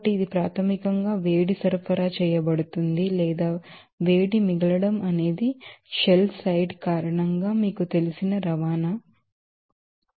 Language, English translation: Telugu, So, this is basically that heat is supplied or heat is you know transport from this you know due to the shell side